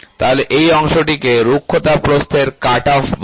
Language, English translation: Bengali, So, this portion is called as the roughness width cutoff, ok